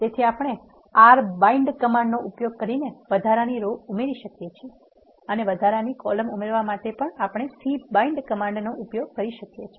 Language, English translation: Gujarati, So, we can add extra row using the command r bind and to add an extra column we use the command c bind